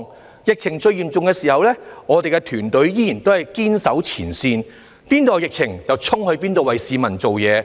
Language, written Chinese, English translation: Cantonese, 在疫情最嚴重的時候，我們的團隊仍然堅守前線，那裏有疫情，便衝去那裏為市民服務。, At the peak of the epidemic our team remained steadfast in our work at the front line . We strove to serve the people where there was an outbreak